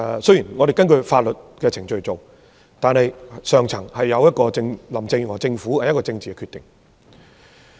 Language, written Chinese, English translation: Cantonese, 雖然政府是按法律程序做事，但這一定是林鄭月娥政府高層的政治決定。, Even if the Government has acted in accordance with the law it must be a political decision made by the top echelon of the Carrie LAM Government